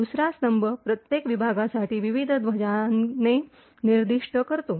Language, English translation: Marathi, The second column specifies the various flags for each segment